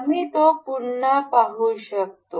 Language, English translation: Marathi, We can see it again